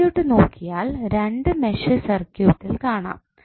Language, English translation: Malayalam, If you see the circuit you will get two meshes in the circuit